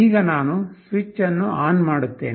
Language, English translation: Kannada, Now, I switch on the power